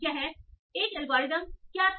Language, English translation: Hindi, So what did this algorithm did